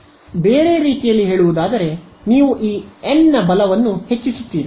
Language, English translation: Kannada, So, in other words you increase this capital N right